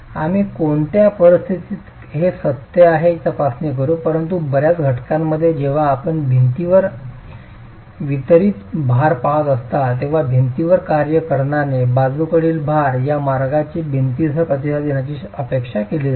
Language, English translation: Marathi, We will examine under what conditions these are true but most in most situations, when you are looking at distributed load acting on the wall, lateral load acting on the wall, this is the way in which the wall is expected to respond